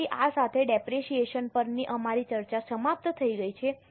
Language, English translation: Gujarati, So, with this our discussion on depreciation is over